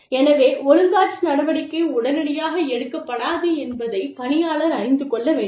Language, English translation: Tamil, So, the employee should know, that disciplinary action will not be taken, immediately